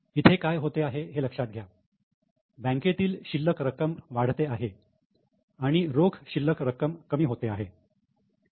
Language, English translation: Marathi, So, remember here what is done is the bank balance is increasing and the cash balance is decreasing